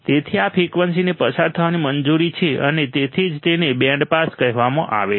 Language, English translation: Gujarati, So, this frequency is allowed to pass and that is why it is called band pass